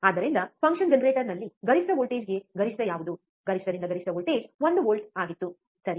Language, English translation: Kannada, So, we have seen in function generator what was the peak to peak voltage, peak to peak voltage was one volt, right